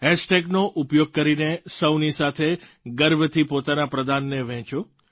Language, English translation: Gujarati, Using the hashtag, proudly share your contribution with one & all